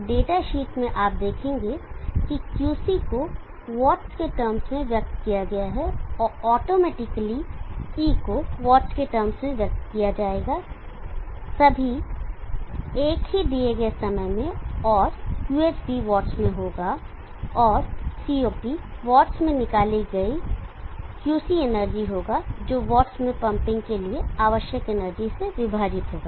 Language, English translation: Hindi, Then you can use the units of power watts everywhere for QC E and QH so in the data sheet you will see that QC is expressed in terms of watts and automatically E will get expressed in terms of watts all in the same given time and QH also will be in watts and COP will be QC energy extracted in watts divided by energy needed for pumping in watts so we can say it is the heat flow power divided by the power needed to pump all expressed in watts